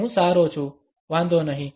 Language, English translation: Gujarati, I am good never mind